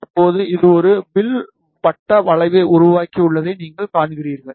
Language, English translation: Tamil, Now, you see it has created a arc circular arc